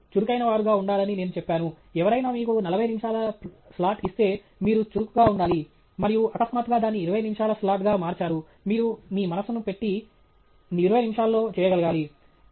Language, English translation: Telugu, And I also pointed out you should be agile; you should be agile in the sense that if somebody gave you a 40 minute slot; and suddenly changed it to a 20 minutes’ slot, you should show your presence of mind and represent it in 20 minutes